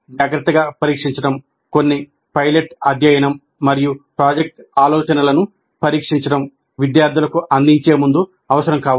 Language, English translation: Telugu, And careful examination, some pilot study and testing of the project ideas may be necessary before offering them to the students